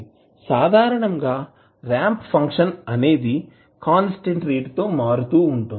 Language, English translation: Telugu, Now, in general the ramp is a function that changes at a constant rate